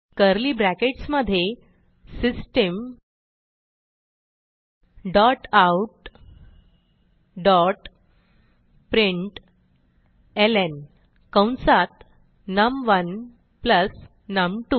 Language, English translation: Marathi, Then within curly brackets System dot out dot println num1 plus num2